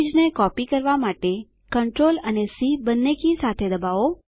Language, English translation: Gujarati, Press CTRL and C keys together to copy the image